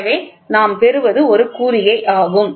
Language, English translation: Tamil, So, then what we get is a signal